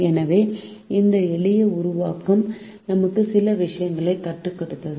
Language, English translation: Tamil, so this simple formulation have taught as a few things